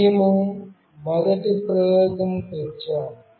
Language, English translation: Telugu, We come to the first experiment